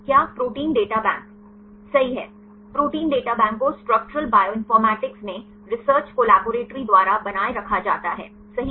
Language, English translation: Hindi, Is the Protein Data Bank right Protein Data Bank is maintained right by the Research Collaboratory in Structural Bioinformatics right